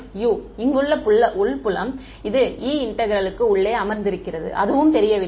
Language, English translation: Tamil, U : the internal field over here right this E which is sitting inside the integral that is also unknown